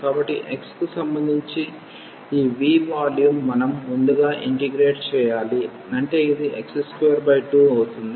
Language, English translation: Telugu, So, this v the volume with respect to x we have to integrate first so; that means, this will be x square by 2